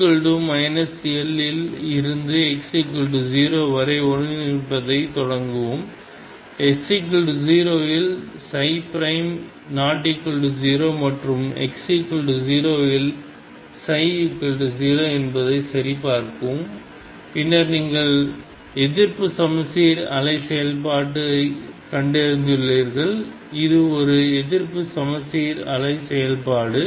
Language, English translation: Tamil, You can also check start integrating from x equals minus L from up to x equals 0 and check if psi prime is not equal to 0 at x equal to 0 and psi is 0 at x equals 0 then you have found anti symmetric wave function this is an anti symmetric wave function